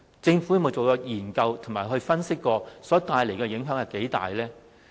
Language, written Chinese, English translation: Cantonese, 政府有否研究並分析這改變所帶來的影響有多大呢？, Has the Government studied and analysed the extent of the impacts to be brought by this change?